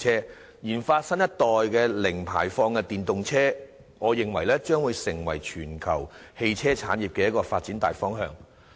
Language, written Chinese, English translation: Cantonese, 我認為研發新一代的零排放電動車，將成為全球汽車產業發展的大方向。, I think the research and development of new - generation zero - emission electric vehicles EVs will become the general direction of the development of the automobile industry worldwide